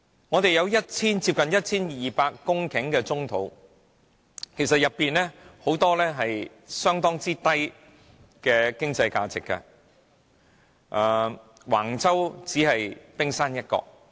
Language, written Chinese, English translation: Cantonese, 我們有接近 1,200 公頃的棕地，當中很多經濟價值很低，橫洲只是冰山一角。, These are all lies . There are close to 1 200 hectares of brownfield sites in Hong Kong many of which have little economic value . Wang Chau is only the tip of an iceberg